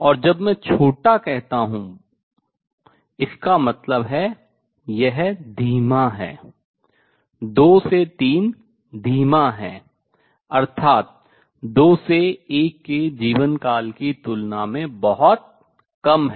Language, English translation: Hindi, And when I say very short that means, this is slow, 2 to 3 is slow; that means much less compare to life time from 2 to 1